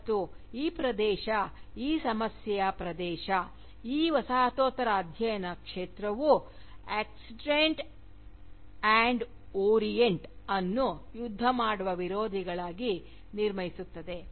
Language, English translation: Kannada, And, this area, this problem area, is the way in which, this field of Postcolonial studies, constructs the Oxidant and the Orient, as belligerent opposites